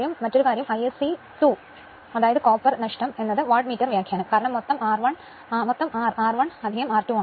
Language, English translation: Malayalam, Another thing you know that I s c square R the copper loss is equal to Wattmeter reading because total R is R 1 plus R 2